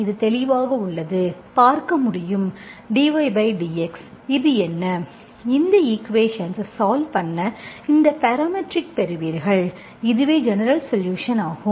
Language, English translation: Tamil, So this is clearly, you can see, dy, what is this one, dy by, so dy by dx, so we have, if you solve this equation, you will get this parametric, this is the general solution we get like this